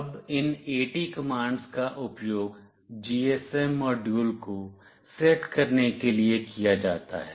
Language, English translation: Hindi, Now, these AT commands are used for to set up the GSM module